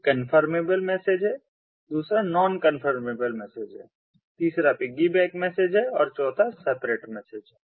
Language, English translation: Hindi, one is the confirmable mode, the second is the non confirmable mode, the third is the piggyback mode and the fourth is the separate